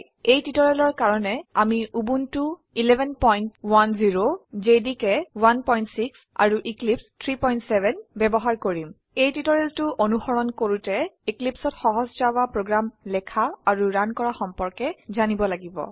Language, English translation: Assamese, For this tutorial we are using Ubuntu 11.10, JDK 1.6 and Eclipse 3.7.0 To follow this tutorial, you must know how to write and run a simple java program in Eclipse